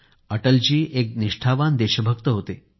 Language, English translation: Marathi, Atalji was a true patriot